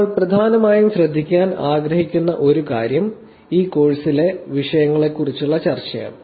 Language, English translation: Malayalam, So, one of things that we primarily want to actually focus on is also about discussion around the topics that we will be discussing in this course